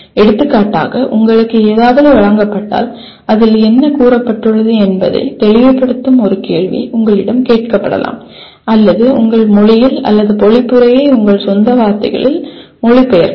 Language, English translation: Tamil, For example something is presented to you, you can be asked a question clarify what is being stated in that or translate into in your language or paraphrase in your own words